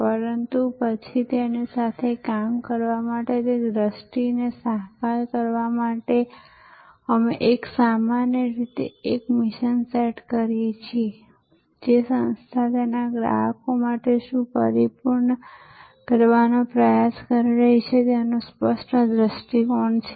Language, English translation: Gujarati, But, then to work with it, to realize that vision, we usually set a mission, an organizations clear view of what it is trying to accomplish for its customers